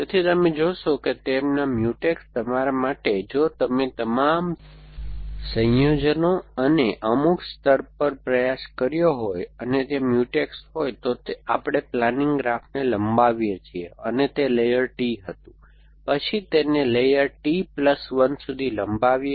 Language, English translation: Gujarati, So, you find that their Mutex for you, if you have tried all possible combinations and at some layer and they are Mutex, then we extend the planning graph to let say it was that layer T, and then extend it to layer T plus one and then we come back and search